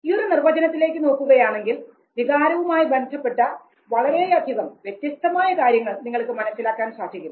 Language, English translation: Malayalam, If you look at this very definition you will come to know whole variety of things that are associated with emotion